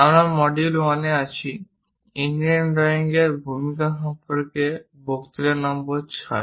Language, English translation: Bengali, We are in module 1, lecture number 6 on introduction to engineering drawing